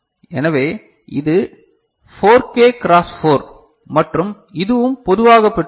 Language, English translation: Tamil, So, this is 4K cross 4 and it also has common